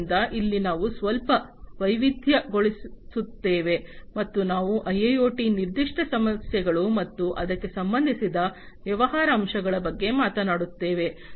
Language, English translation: Kannada, So, there we will diversify a bit, and we will talk about the specific issues of IIoT, and the business aspects concerning it